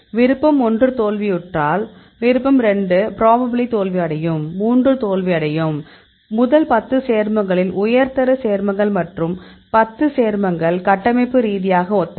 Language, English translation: Tamil, So, in this case if 1 fails; 2 will also probably fail, 3 will also fail; first 10 compounds, the high ranked compounds and 10 compounds are structurally similar